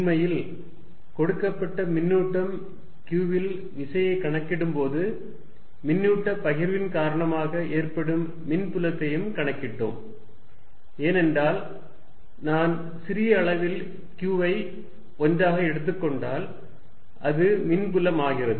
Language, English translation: Tamil, In fact, while calculating forces on a given charge q, we had also calculated electric field due to a charge distribution, because if I take small q to be 1, it becomes the electric field